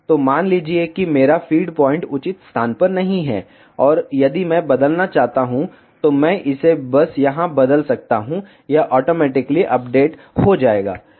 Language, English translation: Hindi, So, suppose if my feed point is not at the proper location, and if I want to change I can simply change it here, it will automatically update